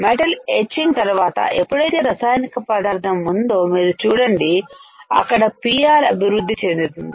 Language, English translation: Telugu, After metal etching whenever there is a chemical involved you see there is developing PR there is a chemical to develop PR